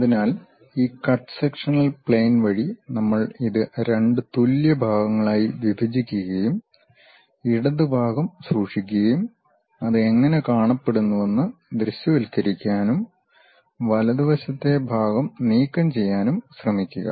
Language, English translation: Malayalam, So, we split this into two equal parts through this cut sectional plane, keep the left part, try to visualize how it looks like and remove the right side part